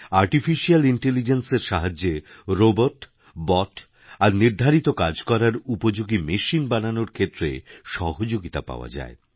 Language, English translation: Bengali, Artificial Intelligence aids in making robots, Bots and other machines meant for specific tasks